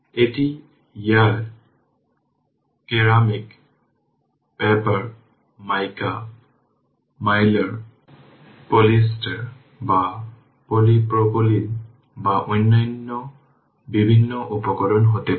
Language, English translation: Bengali, It can be air, ceramic, paper, mica, Mylar, polyester, or polypropylene, or a variety of other materials right